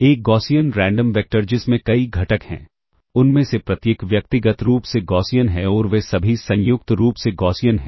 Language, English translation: Hindi, A Gaussian Random Vector with multiple components, each of them individually Gaussian and all of them being jointly Gaussian ok